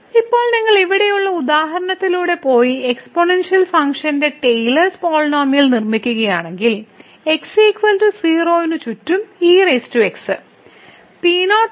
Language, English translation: Malayalam, Now if you go through the example here and construct the Taylor’s polynomial of the exponential function for example, power around is equal to 0